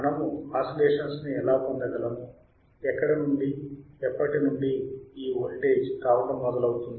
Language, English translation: Telugu, Gow we can have oscillations all right and when does from where does the starting voltage come from